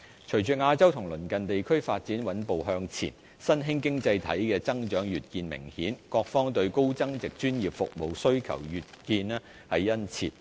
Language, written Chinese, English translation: Cantonese, 隨着亞洲及鄰近地區發展穩步向前，新興經濟體的增長越見明顯，各方對高增值專業服務需求越見殷切。, With the stable development of Asia and neighbouring regions emerging economies have grown in an increasingly apparent trend thus generating an enormous demand for high value - added professional services in various domains